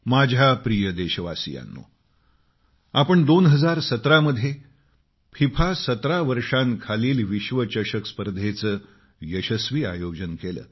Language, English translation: Marathi, My dear countrymen, you may recall that we had successfully organized FIFA Under 17 World Cup in the year2017